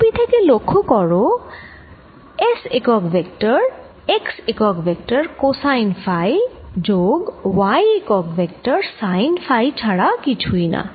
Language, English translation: Bengali, from the diagram you can also see that s unit vector is nothing but cosine of phi s unit vector plus sine of phi y unit vector